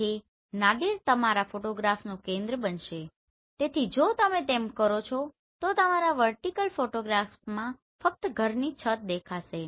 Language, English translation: Gujarati, So Nadir will be the center of your photograph so if you do that then only the rooftop of this particular house will be visible in your vertical photograph